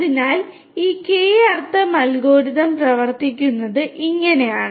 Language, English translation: Malayalam, So, this is how this K means algorithm works